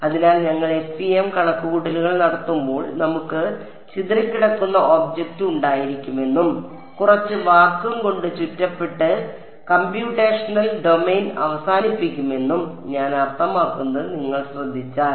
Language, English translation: Malayalam, So, if you notice that I mean when we do FEM calculations we will have the scattering object and surrounded by some amount of vacuum and then terminate the computational domain